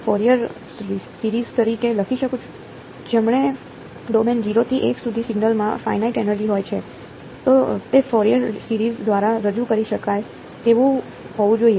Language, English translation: Gujarati, Right, over the domain 0 to l, the signal has finite energy it should be representable by 0 Fourier series